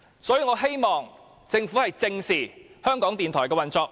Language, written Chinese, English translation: Cantonese, 所以，我希望政府正視港台的運作。, In this connection I hope that the Government can address squarely the operation of RTHK